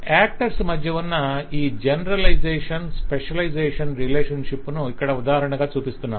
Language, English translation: Telugu, So that is exemplified by this generalization, specialization relationship between the actors, what we are showing here